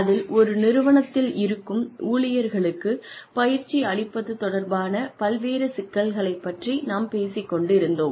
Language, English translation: Tamil, And, we were talking about, various issues related to training of employees, in an organization